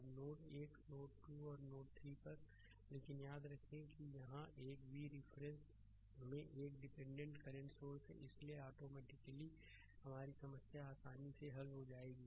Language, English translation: Hindi, Now, at node 1 node 2 and node 3, but remember that ah here it is a dependent current source in terms of v so, automatically ah your ah your problem will be easily solved